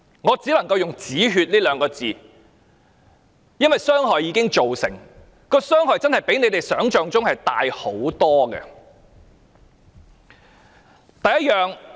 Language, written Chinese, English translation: Cantonese, 我只能夠用"止血"這兩個字，因為傷害已經造成，傷害真的比你們想象中大很多。, I can only say contain the damage because the damage has been done and it is much more serious than you think